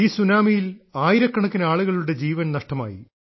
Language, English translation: Malayalam, Thousands of people had lost their lives to this tsunami